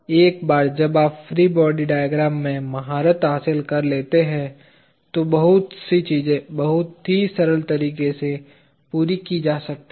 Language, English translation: Hindi, Once you become a master in free body diagrams, then lot of things can be accomplished in a very simple way